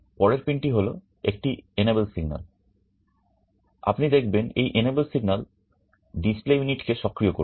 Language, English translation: Bengali, The next pin is an enable signal, you see this enable signal will activate this display unit